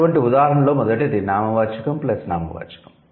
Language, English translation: Telugu, So, one such example, the first one that we have is noun plus noun